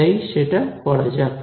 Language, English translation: Bengali, So, let us just do that